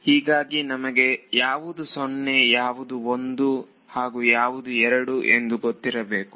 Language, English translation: Kannada, So, let us be very clear what determines which one is 0, which one is 1 which one is 2